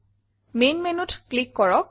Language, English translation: Assamese, Click Main Menu